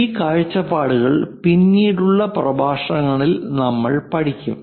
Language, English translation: Malayalam, These views we will learn in the later lectures